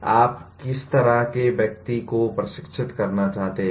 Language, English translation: Hindi, What kind of person you want to train for